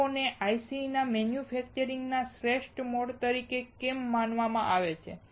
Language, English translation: Gujarati, Why are they considered as the best mode of manufacturing IC